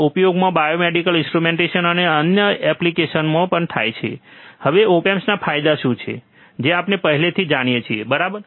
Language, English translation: Gujarati, It is also used in biomedical instrumentation and numerous other application now what are the advantages of op amp we already know, right